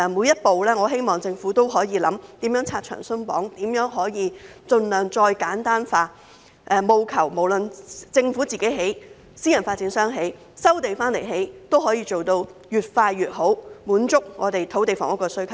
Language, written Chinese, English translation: Cantonese, 因此，我希望政府會考慮每一步如何拆牆鬆綁、盡量簡化程序，務求是政府、私人發展商或收地建屋都可以做到越快越好，滿足我們土地房屋的需求。, Therefore I hope that the Government will consider ways to remove the red tape at each stage and streamline the procedures as far as possible so that the Government or private developers can resume land and build housing units as quickly as possible to meet our demand for land and housing